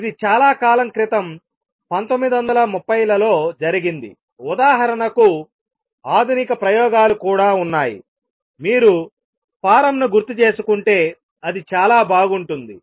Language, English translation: Telugu, This was done long ago in 1930s modern experiments are also there for example, if you recall form it was great